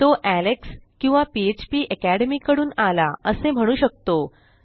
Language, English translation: Marathi, You can put this as from Alex or from phpacademy